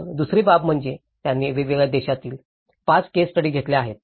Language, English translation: Marathi, Then, the second aspect is they have taken 5 case studies, each from different country